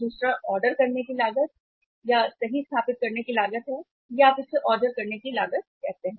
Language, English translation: Hindi, The another is the ordering cost right setup cost or you call it as the ordering cost